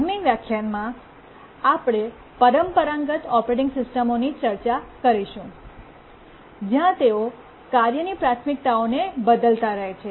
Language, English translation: Gujarati, As you will see in our next lecture that the traditional operating systems, they keep on changing task priorities